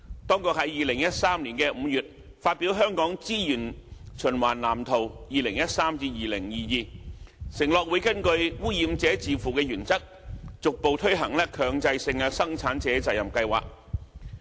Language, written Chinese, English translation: Cantonese, 當局在2013年5月發表《香港資源循環藍圖 2013-2022》，承諾會根據"污染者自付"原則，逐步推行強制性生產者責任計劃。, In the Hong Kong Blueprint for Sustainable Use of Resources 2013 - 2022 published in May 2013 the authorities undertook that mandatory PRSs would be implemented progressively in accordance with the polluter pays principle